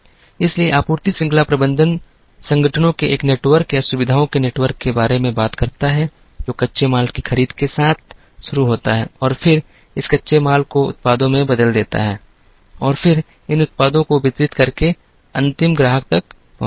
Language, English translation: Hindi, So, supply chain management talks about a network of organizations or a network of facilities, which begins with the procurement of raw material and then, transforming this raw material into products and then, distributing these products till it reaches the end customer